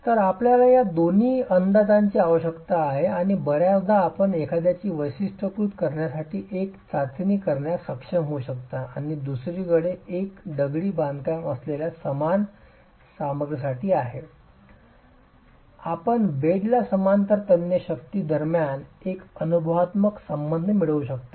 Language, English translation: Marathi, So you need both these estimates and often you may be able to do a test to characterize one and the other one is for the same material that the masonry is composed of, you can get an empirical correlation between the tensile strength parallel to the bed joint and tensile strength normal to the bed joint